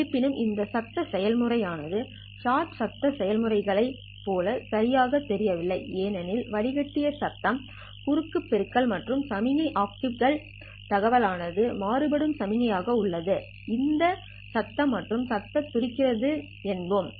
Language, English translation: Tamil, However, these noise processes don't exactly look like short noise processes because there is a cross multiplication of the filtered noise and the signal, optical information bearing signal, and this one is noise and noise beating